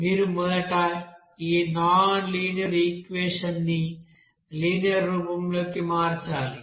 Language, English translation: Telugu, You have to first convert this nonlinear equation into a linear form